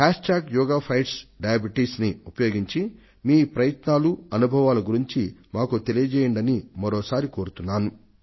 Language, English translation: Telugu, I urge you to use "Hashtag Yoga Fights Diabetes" I repeat "Hashtag Yoga Fights Diabetes"